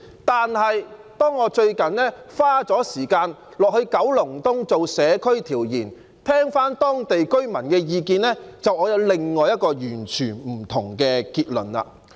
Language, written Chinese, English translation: Cantonese, 但是，當我最近花時間到九龍東進行社區調研，聽取當地居民的意見後，我卻有另外一個完全不同的結論。, But after I have recently spent time conducting community surveys in Kowloon East and listening to the views of local residents I have come to another entirely different conclusion